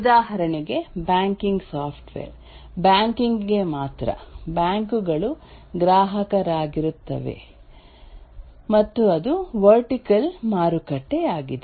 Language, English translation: Kannada, For example, a banking software is only the banks will be the customer and that's a vertical market